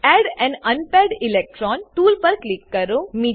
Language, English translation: Gujarati, Click on Add an unpaired electron tool